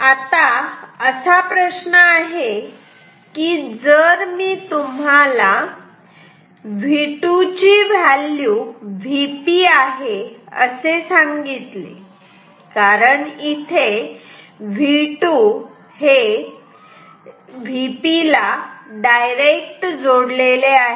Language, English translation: Marathi, Now, the question is if I tell you the value of say V 2; if V 2 which is same as V P ok